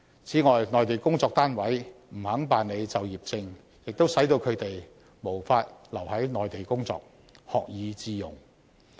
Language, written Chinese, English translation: Cantonese, 此外，內地工作單位不肯辦理就業證，亦使到他們無法留在內地工作，學以致用。, Besides as some Mainland employers would not apply for work permits for them they could not stay on the Mainland to work and put their learning to good use